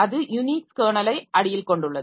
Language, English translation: Tamil, So you have got this Unix kernel and the shells are there